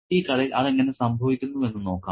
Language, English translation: Malayalam, Okay, let's see how that happens in the story